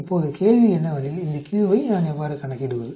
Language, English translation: Tamil, Now the question is how do I calculate these q